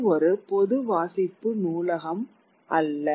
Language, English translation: Tamil, It was not a general public reading library